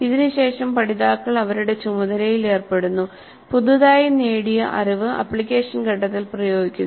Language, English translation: Malayalam, This is followed by the learners engaging with the task applying their newly acquired knowledge so that is the application phase